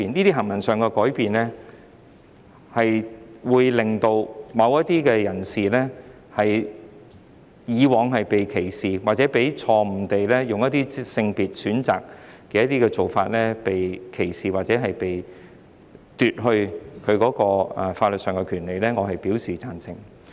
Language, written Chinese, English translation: Cantonese, 這些改變會令某些人士，以往被歧視或錯誤地以性別選擇的做法被歧視或被奪去法律上的權利，我表示贊成。, I agree that these amendments can redress those who have been discriminated wrongfully discriminated or deprived of legal rights on the basis of sex